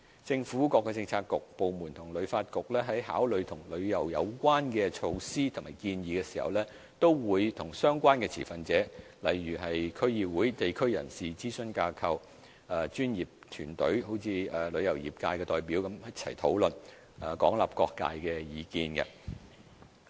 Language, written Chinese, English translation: Cantonese, 政府各政策局、部門和旅發局在考慮與旅遊有關的措施或建議時，均會與相關持份者討論，例如區議會、地區人士、諮詢組織、專業團體如旅遊業界的代表等，廣納各界的意見。, In considering measures and proposals on tourism the Policy Bureaux government departments and HKTB will discuss with the stakeholders such as the District Councils members of the local community consultative groups professional bodies and representatives of the tourism industry to receive a wide range of views from different sectors